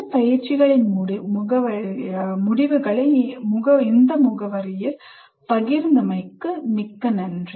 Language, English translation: Tamil, And we will thank you for sharing the results of these exercises at this address